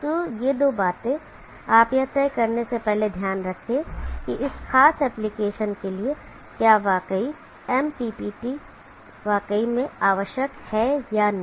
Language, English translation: Hindi, So these two things you keep in mind before deciding whether MPPT is really required or not for that particular application